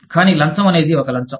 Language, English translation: Telugu, But, a bribe is a bribe